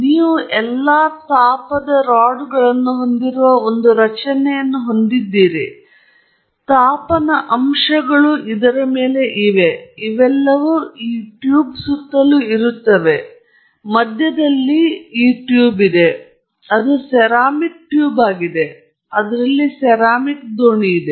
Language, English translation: Kannada, So, you have a structure which has all the heating rods, heating elements are there on this, all are around this tube; in the middle there is this tube, it is a ceramic tube; and in that there is a ceramic boat